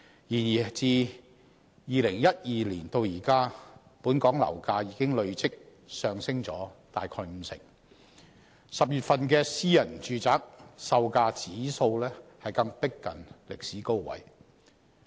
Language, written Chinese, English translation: Cantonese, 然而，自2012年至今，本港樓價已經累積上升約五成 ，10 月份私人住宅售價指數更逼近歷史高位。, Nonetheless from 2012 to date property prices in Hong Kong have increased by about 50 % and the private property price index for October was close to a record high